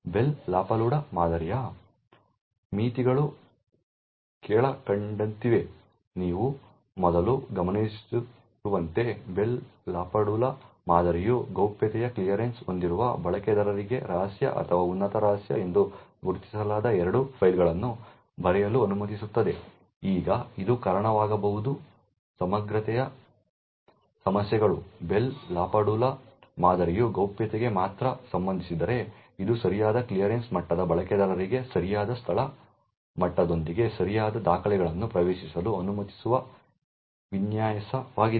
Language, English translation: Kannada, The limitations of the Bell LaPadula model is as follows, first as you would have noticed that the Bell LaPadula model permits a user with a clearance of confidential to write two files which is marked as secret or top secret, now this could cause integrity issues, the Bell LaPadula model is only concerned with confidentiality it is design to permit users with the right clearance level access right documents with the correct location level